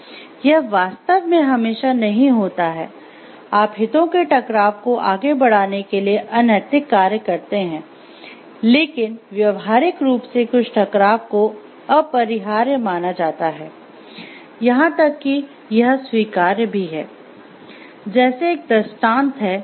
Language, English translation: Hindi, So, it is actually not always, you know like unethical to pursue conflict of interest conflicts, but in practice like some conflicts are thought to be unavoidable or even it is acceptable